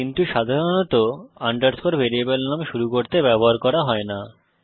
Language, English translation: Bengali, But generally underscore is not used to start a variable name